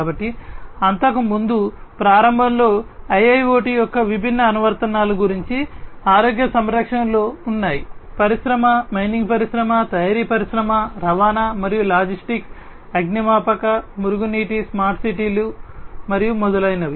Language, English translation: Telugu, So, earlier at the very outset I was talking about the different applications of IIoT the key applications of IIoT are in the healthcare industry, in mining industry, manufacturing industry, transportation and logistics, firefighting, sewerage, city you know smart cities and so on